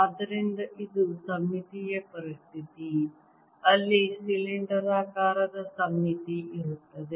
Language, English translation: Kannada, so this is a symmetry situation where there is a cylindrical symmetry